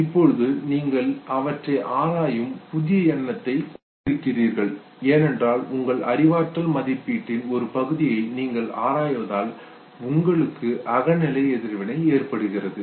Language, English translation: Tamil, Now you have new territory you examined them because you examine them what is a part of your cognitive appraisal you have a subjective reaction